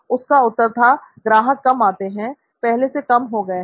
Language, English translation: Hindi, And his answer was customer visits are few, are fewer than they used to be